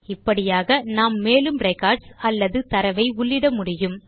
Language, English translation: Tamil, We can add more records or data in this way